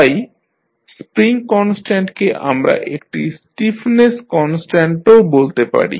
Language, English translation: Bengali, So, the spring constant we also call it as a stiffness constant